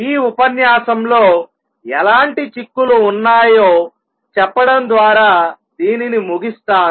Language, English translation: Telugu, Let me just end this lecture by telling what implications does it have